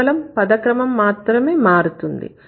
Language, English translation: Telugu, But just the word order is getting changed